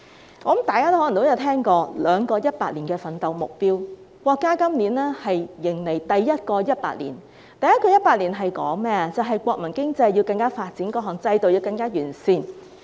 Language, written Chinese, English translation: Cantonese, 我想大家可能也聽過兩個100年的奮鬥目標，國家今年迎來第一個100年，目標是國民經濟更加發展，各項制度更加完善。, I guess Members may have heard of the Two Centenary Goals . This year the country is embracing the first centenary of the Community Party . The goal is to make the national economy more developed and various systems further improved